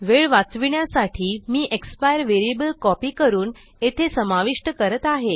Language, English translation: Marathi, To save time, I am copying this and I will add my expire variable here